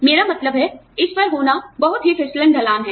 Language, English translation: Hindi, I mean, this is a very slippery slope to be on